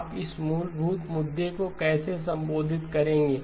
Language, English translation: Hindi, How do you address this fundamental issue